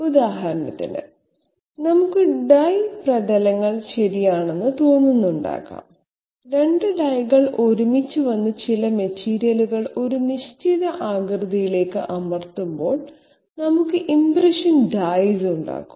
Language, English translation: Malayalam, For example, we might be having impression of die surfaces okay, when two dies are coming together and pressing some material to a definite shape, we have impression dies